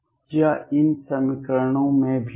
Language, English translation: Hindi, It is also in these equations